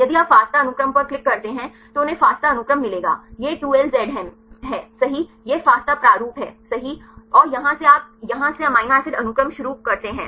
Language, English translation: Hindi, If you click on the FASTA sequence they will get the FASTA sequence here this is the 2LZM right this is the FASTA format right and here you start the amino acid sequence from here to here